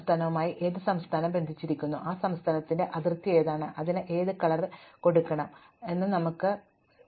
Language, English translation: Malayalam, We just need to know which state is connected to which state, that is which state is the border of which state